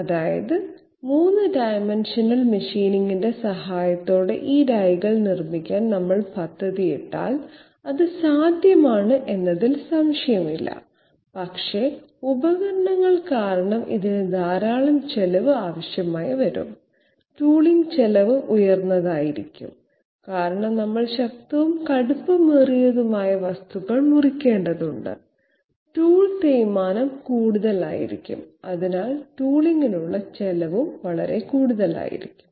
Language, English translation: Malayalam, That means if we plan to make these dies with the help of 3 dimensional machining, it is no doubt possible but it will require a lot of expenditure because of tools, tooling expenditure will be high because we have to cut strong, tough materials, tool wear will be high and therefore, expenditure for tooling will be quite high